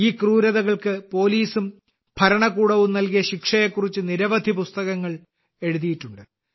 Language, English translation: Malayalam, Many books have been written on these atrocities; the punishment meted out by the police and administration